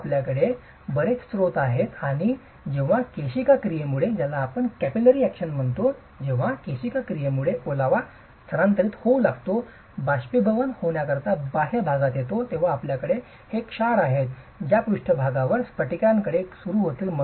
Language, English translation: Marathi, So, you have several sources and when moisture starts migrating due to capillary action comes to the exterior to get evaporated, you have these salts that will start crystallizing on the surface